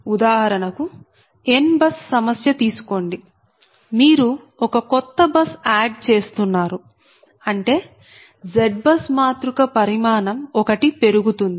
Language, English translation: Telugu, that means, suppose you have a, you have n bus problem and you are adding a new bus, means that z matrix will dimension will increase by one